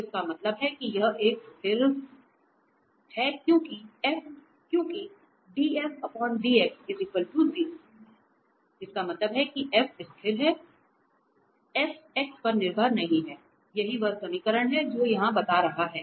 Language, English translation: Hindi, So, that means this is a constant because the df over dx is 0 that means the f is constant, f does not depend on x, this is what this equation is telling